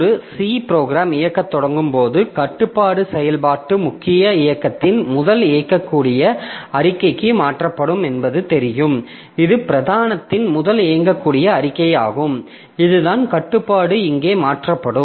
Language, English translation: Tamil, As you know that when a C program starts executing, the control is transferred to the first executable statement of the function main and this happens to be the first executable statement of main